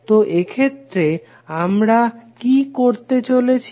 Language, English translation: Bengali, So in this case, what we are going to do